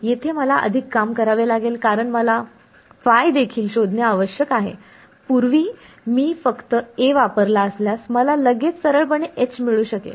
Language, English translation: Marathi, Here I have to do more work right I have to also find phi, earlier if I used only A, I could get H straight away ok